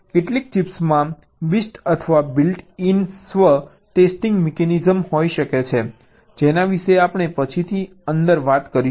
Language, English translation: Gujarati, some of the chips may be having a best or a built in self test mechanism that we will talk about later inside